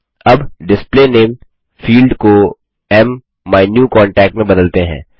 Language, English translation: Hindi, Now, lets change the Field Display Name to MMyNewContact